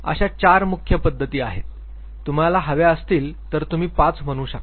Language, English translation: Marathi, Four major approaches if you wish you can make it five